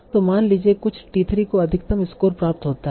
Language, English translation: Hindi, So suppose some T3 gets you the maximum score